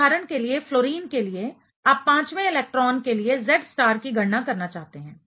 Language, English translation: Hindi, So, for fluorine for example, you want to calculate the Z star for the fifth electron ok